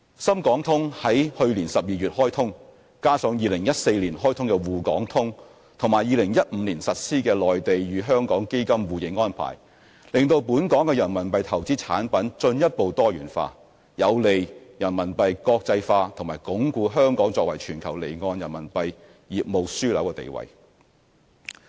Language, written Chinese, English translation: Cantonese, 深港通於去年12月開通，加上2014年開通的滬港通和2015年實施的內地與香港基金互認安排，令本港的人民幣投資產品進一步多元化，有利人民幣國際化及鞏固香港作為全球離岸人民幣業務樞紐的地位。, The Shenzhen - Hong Kong Stock Connect was launched in December last year and together with the Shanghai - Hong Kong Stock Connect launched in 2014 and the Mainland - Hong Kong mutual recognition of funds arrangement implemented in 2015 RMB investment products available in Hong Kong have been further diversified thus creating a favourable environment for promoting RMB internationalization and strengthening Hong Kongs status as the global offshore RMB business hub